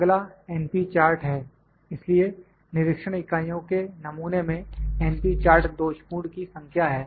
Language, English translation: Hindi, Next is np chart; so, np chart is number of defectives in a sample of inspection units